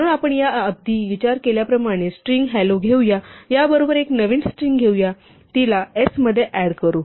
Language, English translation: Marathi, So, if we have a string hello as we did before, and we take this, and we take a new string and we add it to s